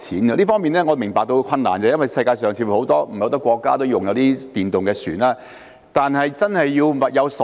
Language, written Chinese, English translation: Cantonese, 我明白這方面存在困難，因為世界上似乎並沒有很多國家使用電動船隻。但是，必須物有所值。, I understand there are difficulties in this regard because it seems that electric vessels are not used in many countries around the world but they have to be worth the money